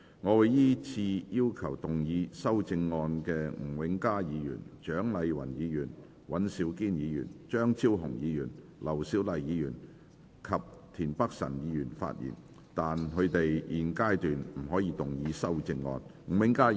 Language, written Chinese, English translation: Cantonese, 我會依次請要動議修正案的吳永嘉議員、蔣麗芸議員、尹兆堅議員、張超雄議員、劉小麗議員及田北辰議員發言；但他們在現階段不可動議修正案。, I will call upon Members who move the amendments to speak in the following order Mr Jimmy NG Dr CHIANG Lai - wan Mr Andrew WAN Dr Fernando CHEUNG Dr LAU Siu - lai and Mr Michael TIEN; but they may not move the amendments at this stage